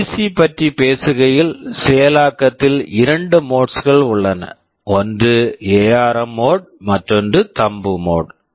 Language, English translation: Tamil, Talking about PC, there are two modes of execution; one is the ARM mode, one is the Thumb mode